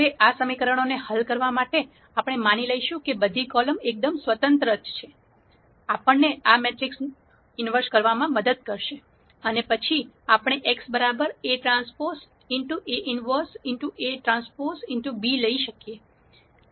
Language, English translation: Gujarati, Now to solve this equation we will assume that all the columns are linearly independent which allows us to take the inverse of this matrix, and then we can come up with a solution x equal a transpose a inverse a transpose b